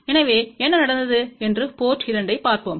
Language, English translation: Tamil, So, let us see to port 2 what happened